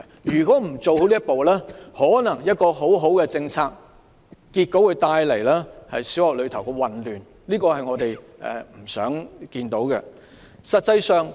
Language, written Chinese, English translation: Cantonese, 如果不做好這一步，一項好政策結果可能會為小學帶來混亂，這是我們不想看見的。, If the Government does not properly take this step forward it may turn a good policy into one that can be chaotic to primary schools . This is something we do not wish to see